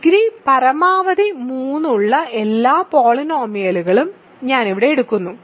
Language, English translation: Malayalam, So, here I am taking all polynomials whose degree is at most 3